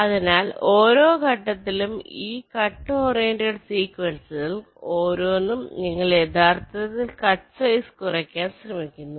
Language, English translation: Malayalam, so so each of these cut oriented sequences, at every step, you are actually trying to minimize the cutsize